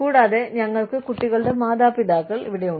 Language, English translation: Malayalam, And, we have the parents of the children